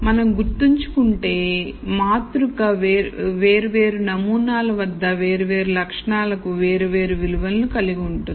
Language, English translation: Telugu, Remember we talked about the matrix as having values for different attributes at different samples